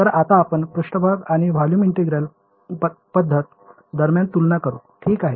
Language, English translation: Marathi, So, now let us go to sort of a comparison between the Surface and Volume Integral approaches right